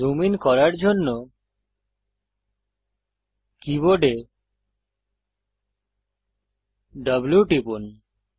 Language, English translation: Bengali, Press W on the keyboard to zoom in